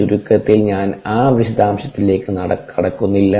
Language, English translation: Malayalam, i will not get into that's details